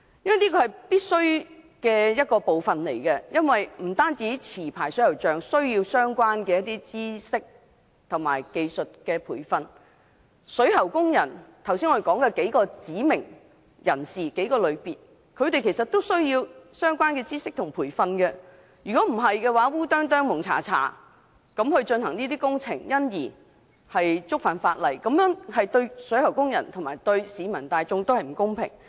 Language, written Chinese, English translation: Cantonese, 這部分是必須的，不單持牌水喉匠需要相關的知識及技術培訓，我們剛才提及的各類指定水喉工人，其實也需要相關的知識及培訓，否則胡里胡塗進行工程而觸犯法例，對水喉工人及市民大眾也不公平。, Whether they are licensed plumbers or the various types of prescribed plumbing workers I have mentioned it is essential to provide them with relevant training to improve their knowledge and technique . It will be unfair to the public as well as to plumbing workers themselves if the workers breach the law in the course of the works due to the lack of knowledge